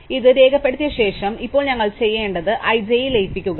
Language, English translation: Malayalam, So, having recorded this, we have to now therefore merge i into j